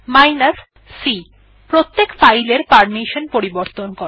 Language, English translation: Bengali, c : Change the permission for each file